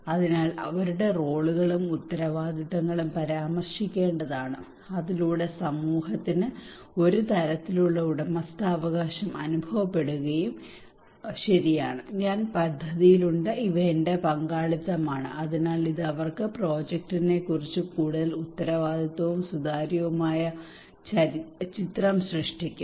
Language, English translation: Malayalam, So their roles and responsibilities should be also mentioned so that community feel kind of ownership and okay I am in the project these are my involvement and so it will create a more accountable and transparent picture to them about the project